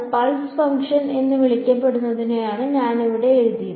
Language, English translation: Malayalam, I have written it over here it is what is called a pulse function